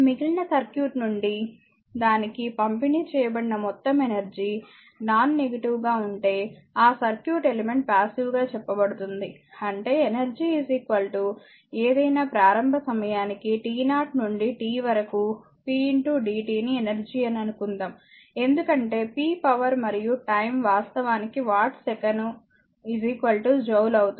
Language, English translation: Telugu, So, a circuit element is said to be passive, if the total energy delivered to it from the rest of the circuit is nonnegative; that means, that the rest; that means, that suppose energy is equal to given for any initial time t 0 to t p into dt is energy because p is power and time watt second actually is equal to joule